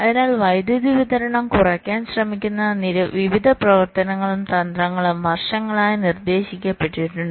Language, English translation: Malayalam, so there have been various works and strategies that have been proposed over the years which try to reduce the power dissipation